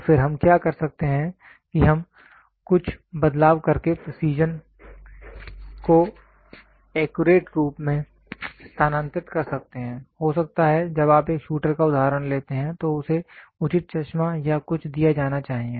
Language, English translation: Hindi, So, then what we can do is we can shift the precision to accurate by doing some modification, may be when you take a shooter example he has to be given proper spectacles or something